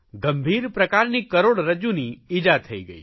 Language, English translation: Gujarati, He suffered serious spinal injury